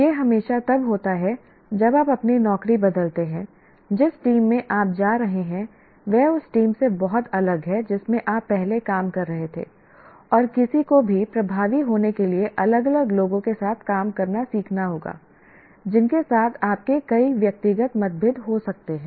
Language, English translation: Hindi, This always happens when you change your job, the team into which you are going is very different from the team you're used to, and anyone to be effective should have to learn to work with a different set of people with whom you may have several personal differences